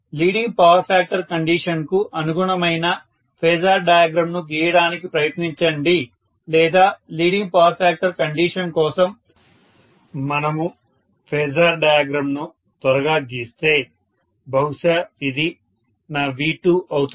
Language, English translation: Telugu, Please try to draw the phasor diagram corresponding to leading power factor condition or if we quickly draw the phasor diagram for leading power factor condition maybe this is my V2 dash